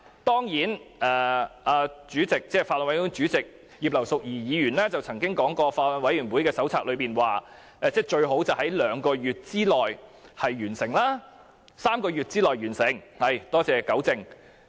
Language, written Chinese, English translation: Cantonese, 當然，法案委員會主席葉劉淑儀議員曾經表示，根據法案委員會手冊，法案最好在兩個月內完成審議......是3個月內完成審議——多謝糾正。, Mrs Regina IP Chairman of the Bills Committee said that according to the Handbook for Chairmen of Bills Committees it would be best for the deliberations on the Bill to be completed within two months within three months thank you for correcting me